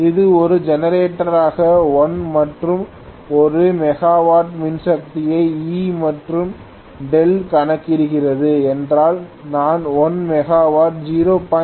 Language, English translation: Tamil, If it is delivering a power of 1 megawatt as a generator calculate E and delta, ofcourse I have said 1 megawatt at 0